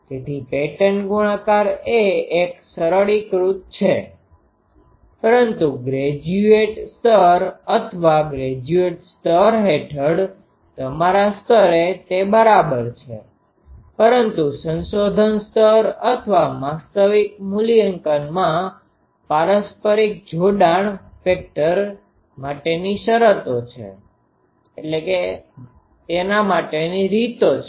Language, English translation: Gujarati, So, pattern multiplication is a simplified one, but at your level under graduate level or graduate level that is, but in the research level or actual evaluation that there are ways to factor in to that mutual coupling factor